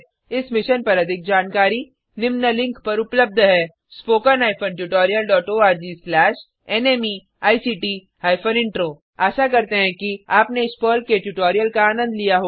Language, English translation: Hindi, More information on this Mission is available at spoken hyphen tutorial dot org slash NMEICT hyphen Intro Hope you enjoyed this Perl tutorial